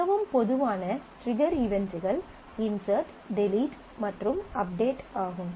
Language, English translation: Tamil, So, the most common triggering events are insert, delete, update